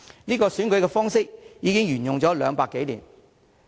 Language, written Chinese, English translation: Cantonese, 這個選舉方式已經沿用200多年。, This electoral system has been in place for over 200 years